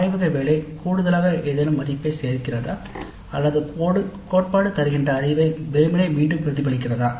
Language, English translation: Tamil, The laboratory work does it add any value to that or whether it just simply repeats whatever has been learned in the theory class